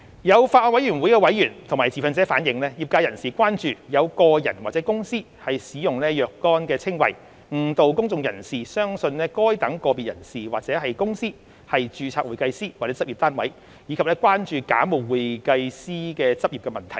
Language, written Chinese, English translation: Cantonese, 有法案委員會委員及持份者反映，業界人士關注有個人或公司使用若干稱謂，誤導公眾人士相信該等個別人士或公司為註冊會計師或執業單位，以及關注假冒會計師執業的問題。, Some members of the Bills Committee and stakeholders have relayed the concern of members of the industry about the use of certain descriptions by individuals or companies to mislead the public into believing that these individuals or companies are registered CPA or practice units . They are also concerned about bogus accountants in practice